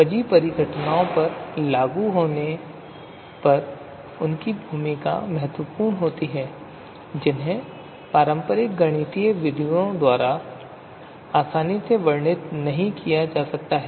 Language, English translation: Hindi, Their role is significant when applied to complex phenomena not easily described by traditional mathematical methods